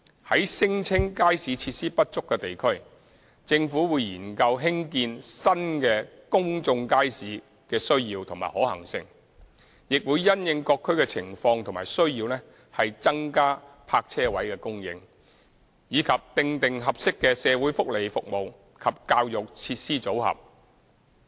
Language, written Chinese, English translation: Cantonese, 在聲稱街市設施不足的地區，政府會研究興建新公眾街市的需要及可行性；亦會因應各區的情況及需要增加泊車位供應，以及訂定合適的社會福利服務及教育設施組合。, The Government will study the need and feasibility of providing new markets in districts where relevant facilities are alleged to be insufficient . The Government will also increase parking spaces and determine an appropriate mix of social welfare and educational facilities in various districts having regard to the local situation and needs